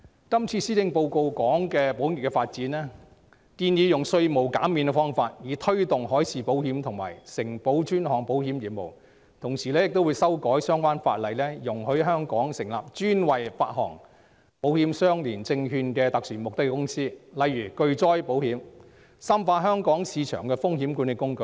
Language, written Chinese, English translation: Cantonese, 今次施政報告談及保險業的發展，建議以稅務減免的方法推動海事保險及承保專項保險業務，同時會修改相關法例，容許在香港成立專為發行保險相連證券的特殊目的公司，例如巨災保險，深化香港市場的風險管理工具。, This Policy Address has talked about the development of the insurance industry and proposed to offer tax reliefs to promote the development of marine insurance and underwriting of specialty risks in Hong Kong . In addition the Government will make relevant legislative amendments to allow the formation of special purpose vehicles in Hong Kong specifically for issuing insurance - linked securities such as catastrophe insurance with a view to enriching the risk management tools available in the Hong Kong market